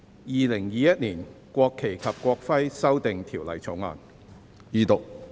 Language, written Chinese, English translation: Cantonese, 《2021年國旗及國徽條例草案》。, National Flag and National Emblem Amendment Bill 2021